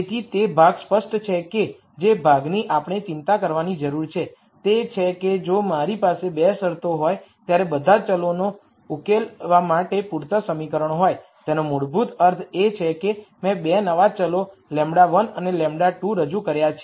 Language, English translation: Gujarati, So, that part is clear the other part that we need to worry about is if I have enough equations to solve for all the variables when I have 2 constraints, that basically means I have introduced 2 new variables lambda 1 and lambda 2